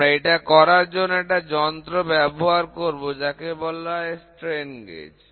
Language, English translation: Bengali, So, for that what we use is, we use device called as strain gauge